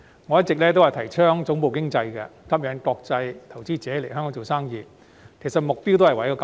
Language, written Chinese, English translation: Cantonese, 我一直提倡發展總部經濟，吸引國際投資者來港做生意，目標其實亦正在於此。, This is actually the goal I would like to achieve when advocating all these years to develop headquarters economy in a bid to attract international investors to come and do business in Hong Kong